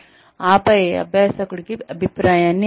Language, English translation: Telugu, And then, give feedback to the learner